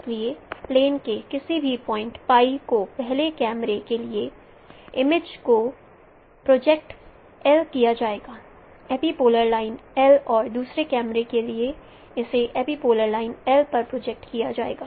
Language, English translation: Hindi, So any point on plane pi will be projected for image for the first camera will be projected on l, epipolar line L and for the second camera it will be projected on epipolar line L prime